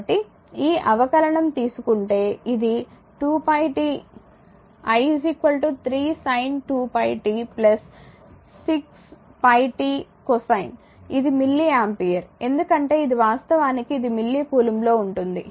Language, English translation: Telugu, So, it is i is equal to 3 sin 2 pi t plus 6 pi t cosine of 2 pi t that is milli ampere because it is it is is actually it is in milli coulomb